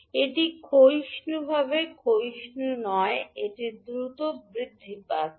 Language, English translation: Bengali, It is not exponentially decaying, it is a exponentially rising